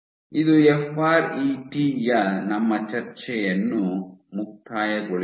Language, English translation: Kannada, So, this concludes our discussion of FRET